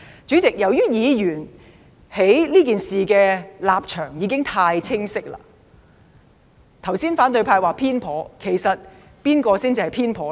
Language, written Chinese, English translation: Cantonese, 主席，由於議員在這事上的立場已經太清晰，反對派剛才說偏頗，其實誰才偏頗呢？, President all Members are having too clear a stance on this matter . Just now the opposition said we are biased . But actually who are biased?